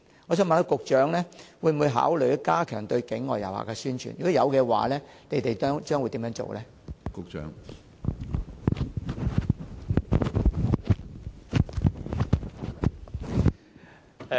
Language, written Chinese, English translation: Cantonese, 我想問局長，會否考慮加強對境外旅客的宣傳；若有，當局將會怎樣做？, May I ask if the Secretary will consider stepping up promotions for overseas tourists; if so what will the authorities do?